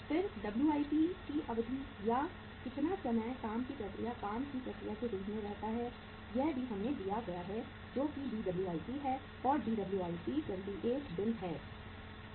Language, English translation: Hindi, Then WIP duration or the time period for how much time uh work in process remains as the work in process that is also given to us that is Dwip that is 28 days